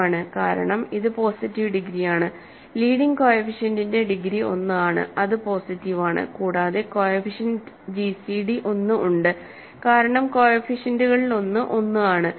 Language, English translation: Malayalam, It is, right, because it is positive degree, degree for leading coefficient is 1 which is positive and the coefficients have gcd 1 because one of the coefficients is 1